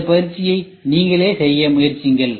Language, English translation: Tamil, Try to do this exercise for yourself